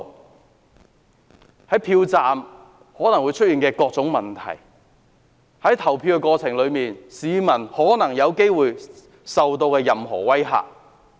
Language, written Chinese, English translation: Cantonese, 我們不希望看到票站出現任何問題，或市民在投票過程中受到任何威嚇。, We do not want to see anything happen to the polling stations or any voter being intimidated in the course of voting